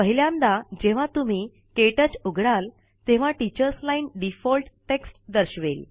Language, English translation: Marathi, The first time you open KTouch, the Teachers Line displays default text